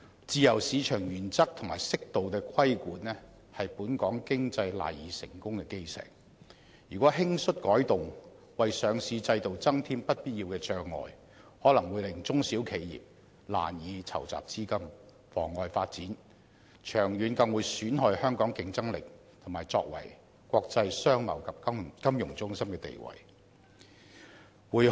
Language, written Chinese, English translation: Cantonese, 自由市場原則和適度的規管是本港經濟賴以成功的基石，如果輕率改動，為上市制度增添不必要的障礙，可能會令中小型企業難以籌集資金，妨礙發展，長遠更會損害香港的競爭力，以及作為國際商貿及金融中心的地位。, The principle of free market and a moderate regulation are the cornerstones of our economic success . If these are altered lightly to cause undue hindrance to the operations of the listing system fund raising by small and medium enterprises may become very difficult and their development may be hampered . In the long term Hong Kongs competitiveness and status as an international trade and financial centre will also be undermined